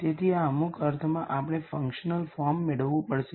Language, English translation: Gujarati, So, in some sense we have to get a functional form